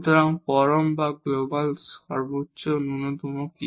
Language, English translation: Bengali, So, what is the absolute or the global maximum minimum